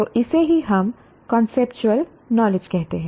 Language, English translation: Hindi, So this is what we call as conceptual knowledge